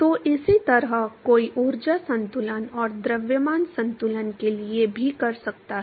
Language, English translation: Hindi, So, similarly one can do for the energy balance and the mass balance